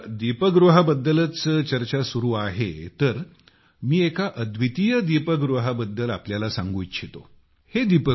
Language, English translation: Marathi, By the way, as we are talking of light houses I would also like to tell you about a unique light house